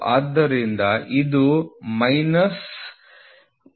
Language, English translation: Kannada, So, it will be minus 0